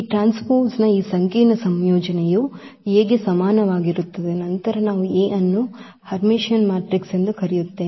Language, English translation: Kannada, So, this complex conjugate of this transpose is equal to A, then we call that A is Hermitian matrix